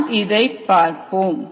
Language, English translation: Tamil, let us revisit that